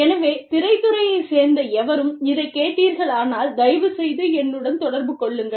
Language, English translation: Tamil, So, if anybody from the film industry is listening, please get in touch with me